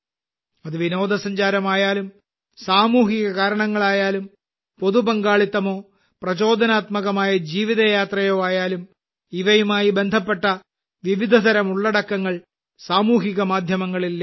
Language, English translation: Malayalam, Be it tourism, social cause, public participation or an inspiring life journey, various types of content related to these are available on social media